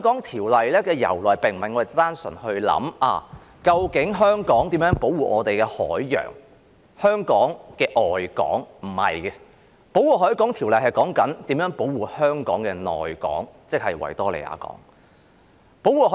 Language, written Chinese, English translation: Cantonese, 《條例》並非單純是源於我們考慮要如何保護香港的海洋，即香港的外港，並不是這樣的，《條例》的內容其實是如何保護香港的內港，即是維多利亞港。, The Ordinance did not simply originate from our consideration on how to protect the ocean of Hong Kong that is the outer harbour of Hong Kong . This is not the case . The provisions of the Ordinance are actually about how to protect the inner harbour of Hong Kong that is the Victoria Harbour